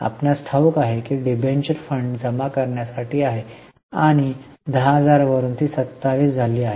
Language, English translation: Marathi, You know that debenture is for raising of funds and from 10,000 it has increased to 27